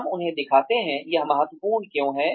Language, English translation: Hindi, We show them, why it is important